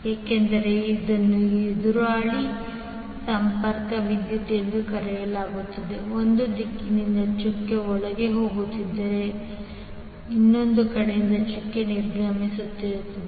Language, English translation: Kannada, Because this is called opposing connection current is going inside the dot from one direction but exiting the dot from other side